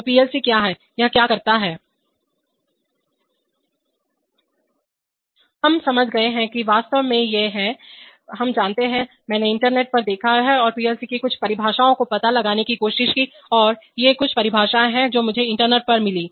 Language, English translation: Hindi, We have understood that it is a, actually, you know, I looked at the internet and try to locate some definitions of the PLC and these are some of the definitions which I found on the internet